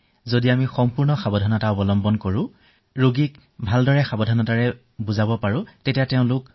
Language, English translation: Assamese, If we observe precautions thoroughly, and explain these precautions to the patient that he is to follow, then everything will be fine